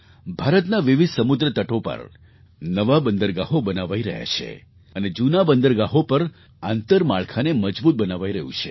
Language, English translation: Gujarati, New seaports are being constructed on a number of seaways of India and infrastructure is being strengthened at old ports